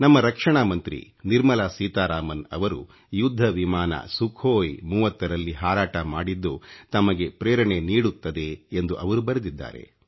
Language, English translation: Kannada, He writes that the flight of our courageous Defence Minister Nirmala Seetharaman in a Sukhoi 30 fighter plane is inspirational for him